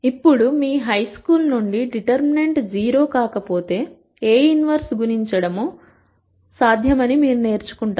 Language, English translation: Telugu, Now from your high school and so on, you would have learned that if the determinant is not 0, A inverse is possible to compute